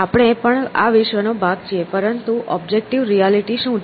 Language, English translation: Gujarati, We are also part of this world, but what is the objective reality